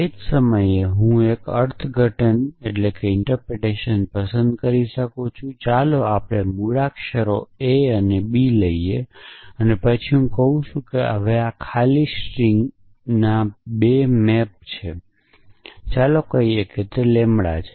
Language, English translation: Gujarati, As the same time I can choose a different interpretation which is let us say streams over alphabet a and b and then I can say that this now this is i 2 maps to empty string, let us say lambda